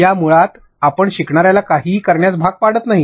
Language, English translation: Marathi, In this basically you do not force the learner to do anything